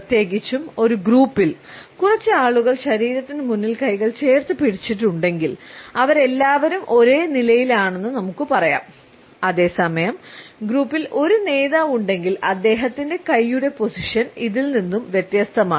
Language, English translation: Malayalam, Particularly in a group if a couple of people have held their hands clenched in front of the body, we find that all of them are on the same footing whereas, if there is a leader in the group we would find that his hand position would be different from this